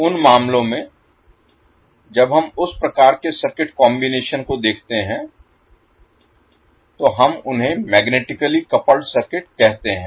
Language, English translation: Hindi, So in those cases when we see those kind of circuit combinations we call them as magnetically coupled circuit